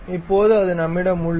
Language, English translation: Tamil, Now, we have that